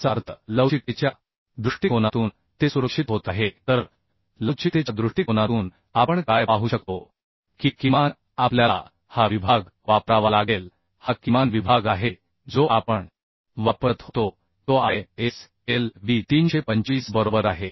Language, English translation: Marathi, 57 that means just it is becoming safe from flexural point of view so from flexural point of view what we could see that the atleast we have to use this section this is the minimum section which we used to use that is ISLB 325 right So with this section we could achieve the strength as 58